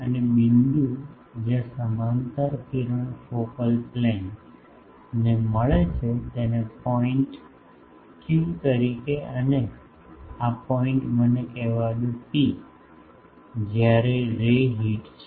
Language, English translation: Gujarati, And, the point where the parallel ray meets the focal plane let me call that as point Q and this point let me call it P, where the ray has hit